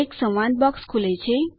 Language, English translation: Gujarati, A dialogue box opens